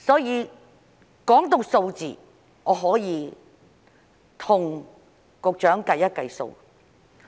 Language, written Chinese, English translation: Cantonese, 談及數字，我可以跟局長計算一下。, Speaking of figures I can do some calculations with the Secretary